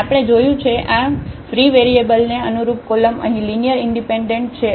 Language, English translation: Gujarati, And we have seen that these columns here corresponding to those free variables, they are linearly dependent